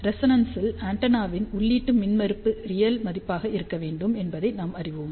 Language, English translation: Tamil, See at resonance we know that the input impedance of antenna should be a real quantity